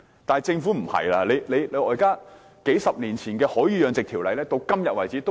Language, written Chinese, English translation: Cantonese, 惟政府卻不是這樣做，數十年前的《海魚養殖條例》沿用至今。, Regrettably the Government has not adopted this arrangement . In fact the Marine Fish Culture Ordinance MFCO which was enacted several decades ago is still in force